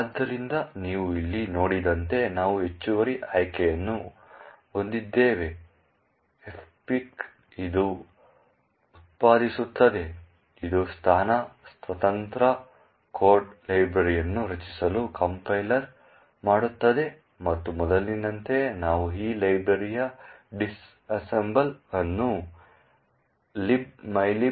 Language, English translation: Kannada, So, as you see here we have in additional option minus F pic which would generate, which would cost the compiler to generate a position independent code library and as before we also dump disassembly of this library in libmylib pic